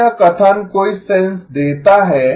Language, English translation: Hindi, Does this statement make sense